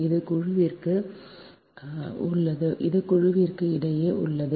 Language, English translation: Tamil, so this within the group, this is between the group, right